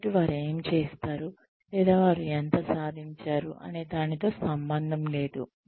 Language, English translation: Telugu, So, it does not matter, what they have done, or, how much they have achieved